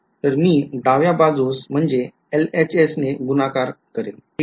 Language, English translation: Marathi, So, I am multiplying on the left hand side ok